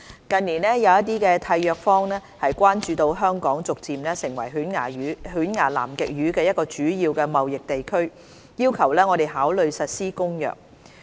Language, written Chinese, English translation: Cantonese, 近年，有一些締約方關注到香港逐漸成為犬牙南極魚一個主要的貿易地區，要求我們考慮實施《公約》。, In recent years some Contracting Parties have expressed concern about Hong Kong gradually becoming a major region for toothfish trading and requested us to consider implementing CCAMLR